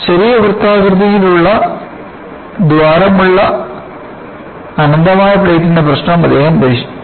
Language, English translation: Malayalam, He solved the problem of an infinite plate with a small circular hole